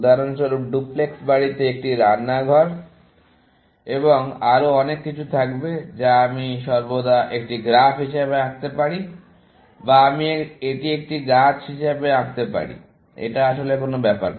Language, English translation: Bengali, For example, duplex house also will have a kitchen and so on, which I can always, draw it as a graph or I can draw it as a tree; it does not really matter